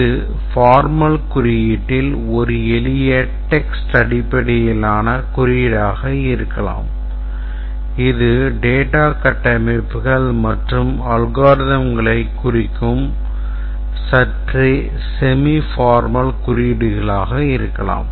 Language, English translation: Tamil, It can be a simple text based notation, informal notation, it can be slightly semi formal notation where represent the data structures and the algorithms